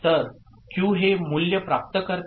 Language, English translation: Marathi, So, Q acquires this value 0